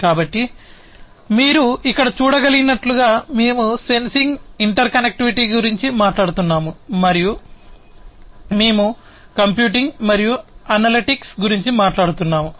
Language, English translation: Telugu, So, as you can see over here we are talking about sensing we are talking about interconnectivity, and we are talking about computing and analytics